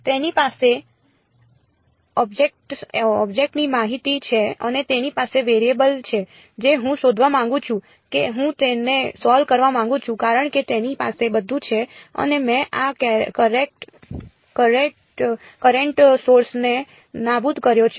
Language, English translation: Gujarati, It has the object information and it has the variable that I want to find out that I want to solve for it has everything and I have eliminated this current source